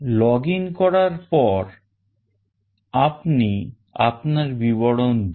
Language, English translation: Bengali, Once you login, put up your details